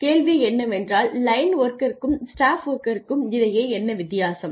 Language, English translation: Tamil, And the question was: what is the difference between line worker and a staff worker